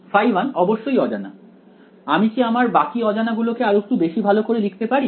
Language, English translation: Bengali, Phi is definitely unknown can we make the other unknown a little bit more precise